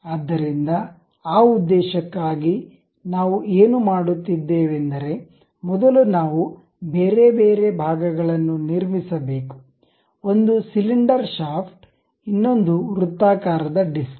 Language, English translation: Kannada, So, for that purpose, what we do is as usual first we have to construct different parts, one is cylinder shaft, other one is circular disc